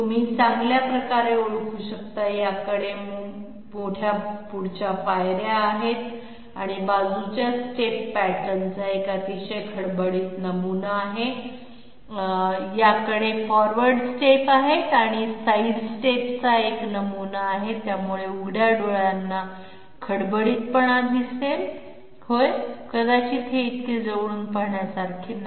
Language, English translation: Marathi, As you can well identify, this one has large forward steps and also a very coarse side step pattern so that roughness will be visible to the naked eye while these are not so a closer look perhaps, yes